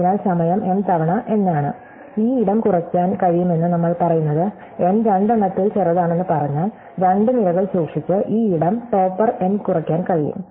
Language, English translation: Malayalam, So, time is m times n what we are saying is that this space can be reduced if, let us say that n is the smaller of the two, this space can be reduced topper n by just keeping two columns